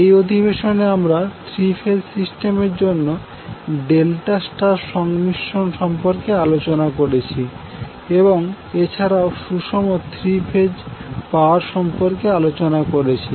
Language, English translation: Bengali, In this session we discussed about the last combination that is delta star combination for the three phase circuit and also discussed about the balanced three phase power